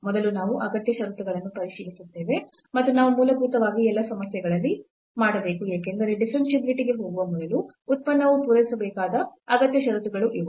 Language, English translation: Kannada, First we check the necessary conditions and we should do basically in all the problems because, these are the necessary these are the conditions which the function must satisfy before going to the differentiability